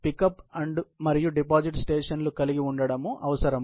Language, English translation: Telugu, It is necessary to have pick up and deposit stations